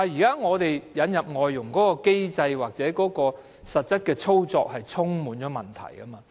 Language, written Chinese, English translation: Cantonese, 不過，對於引入外傭的機制或實際操作，現在是問題多多的。, The mechanism for bringing in foreign domestic helpers and the actual operation is fraught with many problems